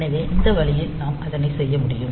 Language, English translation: Tamil, So, that way we can do